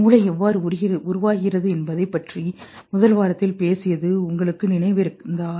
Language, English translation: Tamil, If you remember, we talked about in the first week about how the brain develops